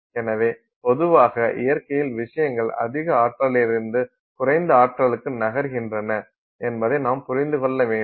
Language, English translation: Tamil, So, we have understood that in general in nature things move from higher energy to lower energy